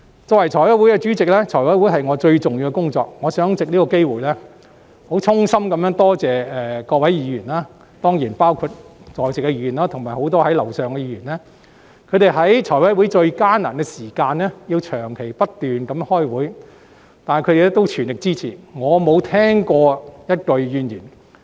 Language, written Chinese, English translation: Cantonese, 作為財務委員會的主席，財委會是我最重要的工作，我想藉此機會衷心多謝各位議員，包括在席議員及很多身處樓上辦公室的議員，他們在財委會最艱難，需要長時間不斷開會的時期，仍給予全力的支持，我沒有聽過任何一句怨言。, Being the Chairman of the Finance Committee FC the work of FC is the most important part of my duties here in this Council . In this connection I would like to take this opportunity to express my heartfelt gratitude to all fellow Members including those present here and many others who are now in our offices upstairs . During the most difficult times for FC when meetings had to be held continuously for a prolonged period of time fellow Members had given me their unfailing support and not a single word of complain had ever been heard